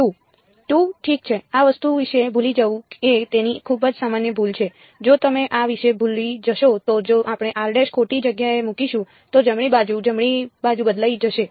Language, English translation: Gujarati, 2 ok, it is very its a very common mistake is to forget about this thing, if you forget about this if we put r prime in the wrong place then the right hand side will change right